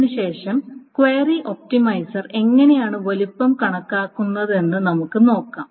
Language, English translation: Malayalam, So after this, let us see how does the query optimizer estimates the size